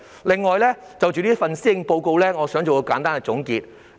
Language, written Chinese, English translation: Cantonese, 此外，我想就這份施政報告作簡單的總結。, Furthermore I would like to make a few concluding remarks on this Policy Address